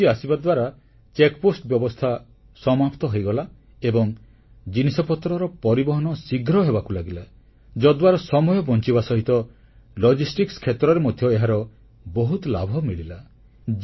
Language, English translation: Odia, The check post has become extinct after the arrival of the GST scheme and the movement of goods has become faster, which not only saves time but is also accruing benefits in the areaof logistics